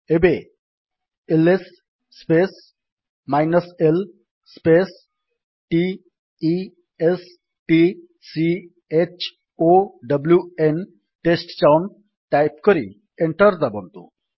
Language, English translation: Odia, Now, type: $ ls space l space t e s t c h o w n and press Enter